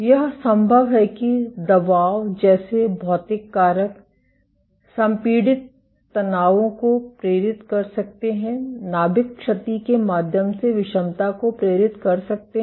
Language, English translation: Hindi, It is possible that physical factors like pressure, can induce compressive stresses can induce heterogeneity through nuclear damage